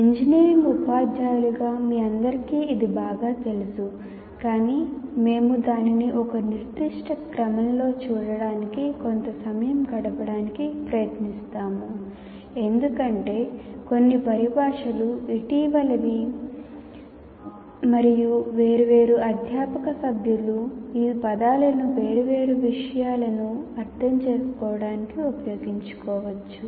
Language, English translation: Telugu, As engineering teachers, all of you are familiar with this, but we will try to spend some time in looking at this in one particular sequence because much some of the terminology, if not all the terminology, is somewhat recent and to that extent different faculty members may use these terms to mean different things